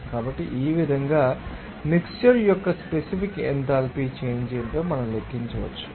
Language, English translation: Telugu, So, this way we can calculate what should be the specific enthalpy change of the mixture